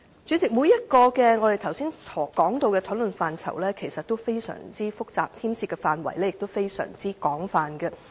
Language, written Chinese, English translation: Cantonese, 主席，我們剛才談及的各個討論範疇其實均非常複雜，牽涉的範圍亦非常廣泛。, President the various areas of discussion mentioned by us just now are actually very complicated and the scope involved is extensive